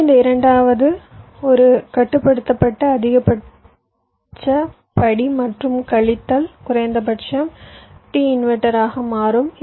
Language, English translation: Tamil, so actually, for this second one, the constrained will become max step plus minus minimum of t inverter